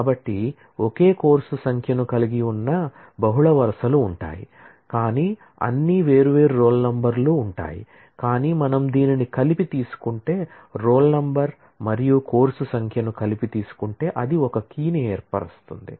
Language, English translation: Telugu, So, there will be multiple rows having the same course number, but all different roll numbers, but if we take this together, roll number and course number together then that forms a key